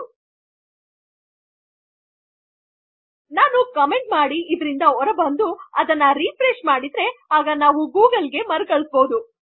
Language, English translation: Kannada, If I get rid of this by commenting it, and I were to refresh then we would be redirected to google